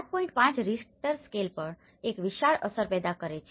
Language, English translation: Gujarati, 5 scale is creating a huge impact